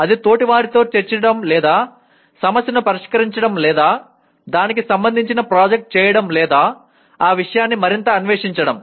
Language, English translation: Telugu, That is either discussing with peers or solving the problem or doing a project related to that or exploring that subject further